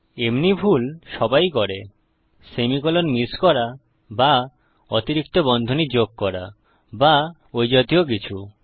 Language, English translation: Bengali, Everyone makes such mistakes missing either a semicolon or adding an extra bracket or something like that